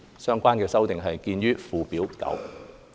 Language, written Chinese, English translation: Cantonese, 相關修訂見於附表9。, Please see Schedule 9 for the relevant amendments